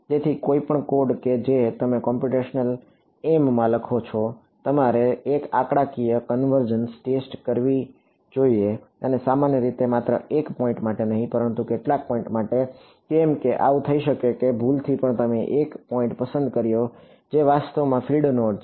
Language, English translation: Gujarati, So, any code that you write in computational em, you should have done one numerical convergence test and typically not just for one point, but for a few points why because it could happen that by mistake you chose a point which is actually a field node